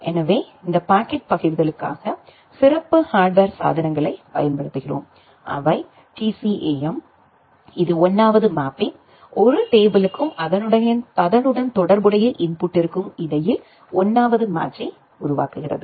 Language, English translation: Tamil, So, for this packet forwarding we use the special hardware devices which are the TCAM ternary content addressable memory which makes a 1st mapping, 1st match between a table and the corresponding input